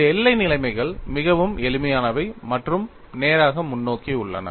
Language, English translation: Tamil, These boundary conditions are very simple and straight forward